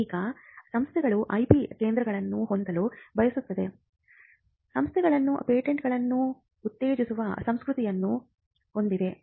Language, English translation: Kannada, Now, want institutions to have IP centres or to have a culture of promoting patents